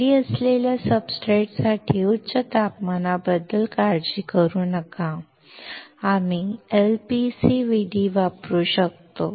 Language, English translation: Marathi, No worry about high temperature as for the substrates beneath, we can use LPCVD